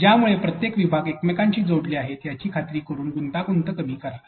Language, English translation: Marathi, So, reduce the complexity by making sure that each the pieces are connected to each other